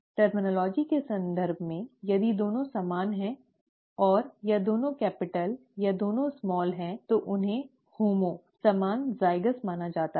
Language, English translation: Hindi, In terms of terminology, if both are the same, and either both capitals or both smalls, then they are considered homo, same, zygous